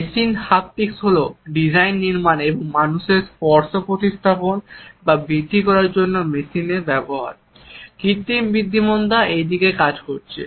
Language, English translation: Bengali, Machine Haptics is the design construction and use of machines either to replace or to augment human touch, artificial intelligence is working in this direction